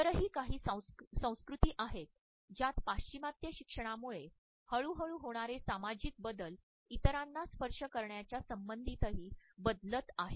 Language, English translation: Marathi, There are certain other cultures in which because of the gradual social changes towards a westernized education pattern norms about touching others are also changing gradually